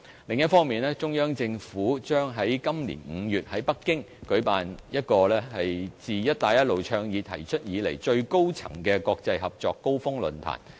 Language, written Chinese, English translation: Cantonese, 另一方面，中央政府將在今年5月在北京舉辦自"一帶一路"倡議提出以來最高層次的國際合作高峰論壇。, On the other hand the Central Government will host a Belt and Road Forum in May this year to highlight the achievements of the Belt and Road Initiative